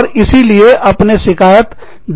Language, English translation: Hindi, And, so you file a grievance